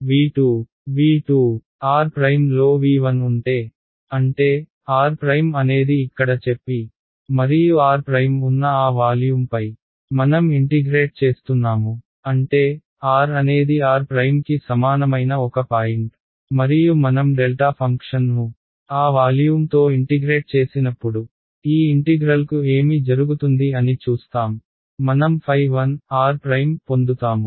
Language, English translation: Telugu, v 2, if r prime is in v 1; that means, r prime is let us say here, and I am integrating over that volume which contains r prime; that means, there will be one point where r is equal to r prime and when I integrate the delta function over that volume what will happen to this integral I will get